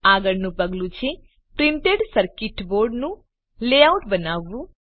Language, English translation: Gujarati, The next step is to create the printed circuit board layout